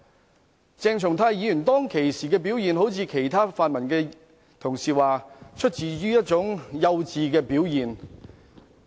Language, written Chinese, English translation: Cantonese, 我也不認為鄭松泰議員當時的表現一如其他泛民同事所說般只是一種出於幼稚的表現。, I also do not consider what Dr CHENG Chung - tai did back then were some childish acts as suggested by other Honourable colleagues from the pan - democratic camp